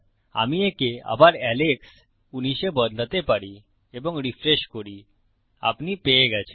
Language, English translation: Bengali, I can change this again to Alex, 19 and refresh